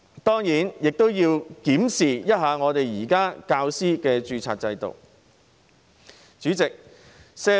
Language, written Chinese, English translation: Cantonese, 當然，亦要檢視現時教師的註冊制度。, Certainly we also need to review the existing teacher registration mechanism